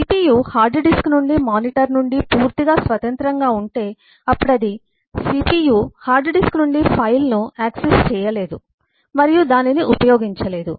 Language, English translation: Telugu, if cpu is completely independent of the hard disk and completely independent of the monitor and so on, then the cpu will not be able to access the file from the hard disk and use it